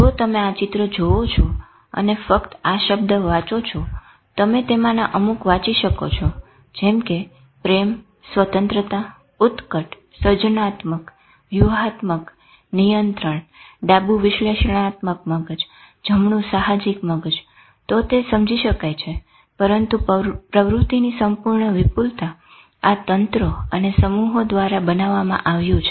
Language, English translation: Gujarati, If you see this picture and just read this word if you can read some of them, love, freedom, passion, creative, strategic control, left analytical brain, right intuitive brain, that is what it is understood